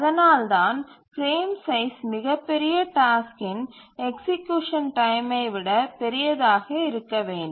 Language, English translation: Tamil, And that's the reason a frame size should be larger than the largest task execution time